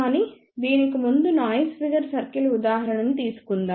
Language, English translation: Telugu, But before that let us take a noise figure circle example